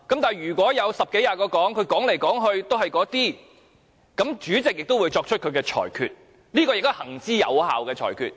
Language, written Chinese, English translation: Cantonese, 但是，如果有十多二十人發言，來來去去也是說這些論據，主席便會作出他的裁決，這亦是行之有效的裁決。, However if there are 10 to 20 Members speaking on this motion but they are repeating their arguments the President will make a ruling . This has been an effective approach